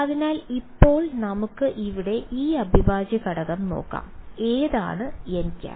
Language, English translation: Malayalam, So, now, let us look at this integral over here which n hat is in